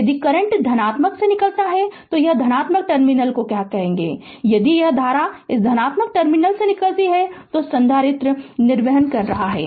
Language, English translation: Hindi, If the current leaves from the positive, what you call that positive terminal, if this current leaves from this positive terminal, so capacitor is discharging right